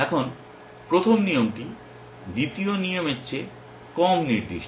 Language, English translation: Bengali, Now, the first rule is less specific than the second rule